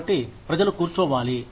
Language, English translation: Telugu, So, people need to sit down